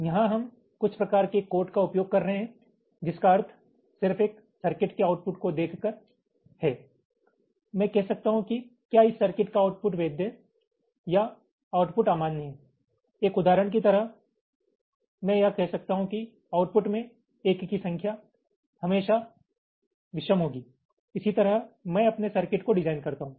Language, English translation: Hindi, very broadly speaking, here we are using some kind of codes, meaning just by looking at the output of a circuit i can say that whether this circuit is a valid output or an invalid output, like a simple example, i can say that the number of ones in the output will always be odd